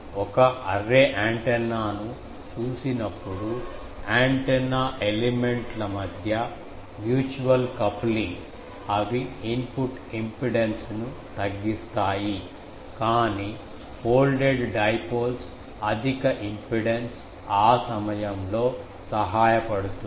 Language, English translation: Telugu, In an array, we will see later when you see the antenna, the mutual coupling between the antenna elements they decrease the input impedance but folded dipoles higher impedance is helpful that time